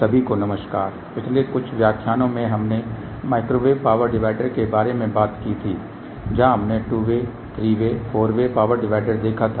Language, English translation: Hindi, hello everyone in the last few lectures we talked about microwave power dividers where we had seen two way, three way, four way power divider